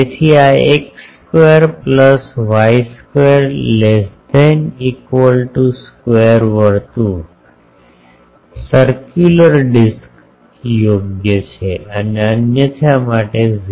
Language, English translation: Gujarati, So, this is valid for x square plus y square less than equal to a square is the circle, circular disc and 0 otherwise